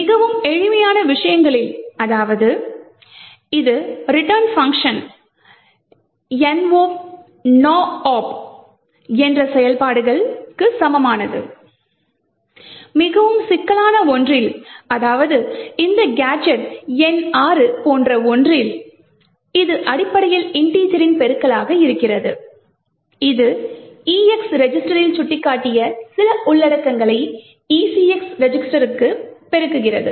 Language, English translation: Tamil, So these gadgets vary in functionality from very simple things like return which is equivalent to just doing no op operation, to something which is much more complicated like this gadget number 6, which is essentially integer multiplication, it multiplies some contents pointed to by these ECX register with the EX register